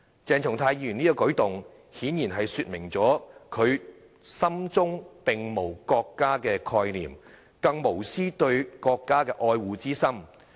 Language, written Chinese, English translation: Cantonese, 鄭松泰議員這個舉動，顯然是說明了他心中並無國家的概念，更無絲毫對國家愛護的心。, The acts done by Dr CHENG Chung - tai showed clearly that he has no concept of the country in his heart and he has no love whatsoever for his country